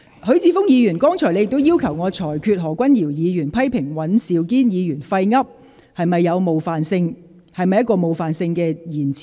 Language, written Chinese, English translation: Cantonese, 許智峯議員，剛才你要求我裁決何君堯議員批評尹兆堅議員"廢噏"是否屬冒犯性言詞。, Mr HUI Chi - fung a short while ago you asked me to rule whether the expression talking gibberish which Dr Junius HO used to criticize Mr Andrew WAN is offensive